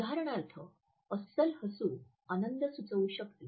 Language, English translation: Marathi, For example, a genuine smile may suggest happiness